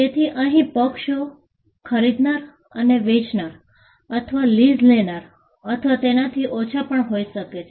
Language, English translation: Gujarati, So, the parties here could be, the buyer or the seller or the lessee or lesser